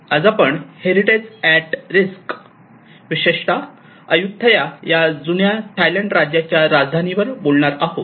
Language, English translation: Marathi, Today I am going to discuss on a topic of heritage at risk, especially with the case of Ayutthaya which is the ancient capital of kingdom of Thailand